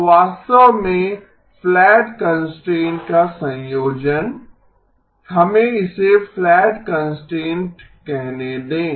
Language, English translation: Hindi, So actually the combination of the flat constraint, let us call this as the flatness constraint